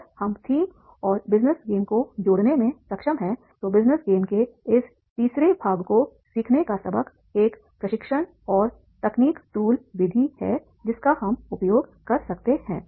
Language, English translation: Hindi, If we are able to connect the theme and then the business game and lessons of learning, these three parts of in a business game as a training and technique tool method that we can use